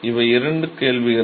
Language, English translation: Tamil, So, these are the two questions